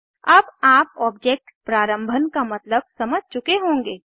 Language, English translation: Hindi, Now, you would have understood what object initialization means